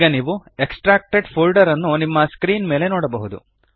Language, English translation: Kannada, Now you can see the extracted folder on your screen